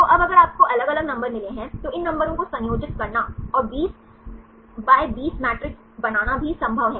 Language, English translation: Hindi, So, now if you got different numbers, it is also possible to combine these numbers and make a 20×20 matrix